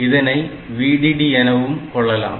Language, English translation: Tamil, So, difference between VDD and VSS